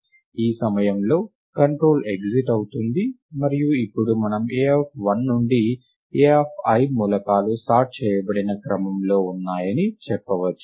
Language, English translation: Telugu, At this point of time the control exits, and now we can report that the elements a of 1 to a of i are in sorted order